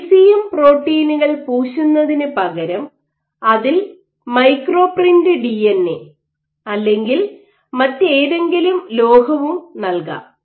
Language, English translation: Malayalam, So, and instead of coating just your ECM proteins you can also micro print DNA on it or any other metal on it